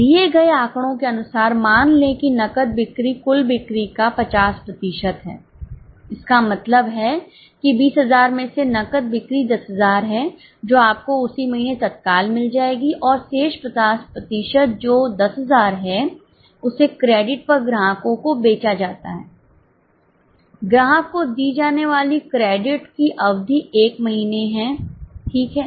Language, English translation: Hindi, As per the given data, assume that cash sales are 50% of total sales that means from 20,000 cash sales are 10,000 that you will receive in the immediate month, same month and remaining 50% that is remaining 10,000 is sold to customers on credit, the period of credit allowed to customer is one month